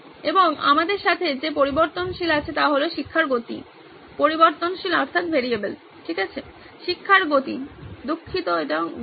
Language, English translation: Bengali, And the variable that we have with us is the pace of teaching, pace of teaching